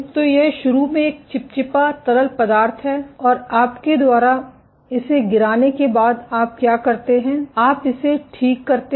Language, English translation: Hindi, So, this is initially a viscous fluid and after you dumped it what you do is you cure it